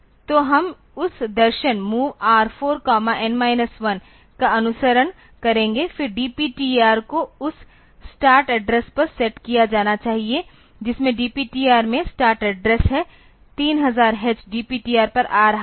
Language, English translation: Hindi, So, we will be following that philosophy MOV R4 comma N minus 1; then the DPTR should be set to that start address the DPTR is having the start address is 3000 h is coming to the DPTR